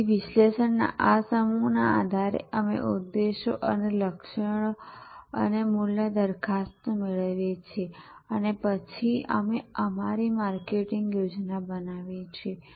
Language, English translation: Gujarati, So, based on this set of analysis we derive this objectives and targets and value proposition and then, with that we create our marketing action plan